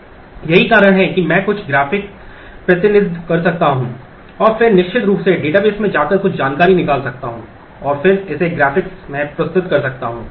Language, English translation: Hindi, That is I can do some graphic representation and then certainly go to the database extract some information and then present it in the graphics and vice versa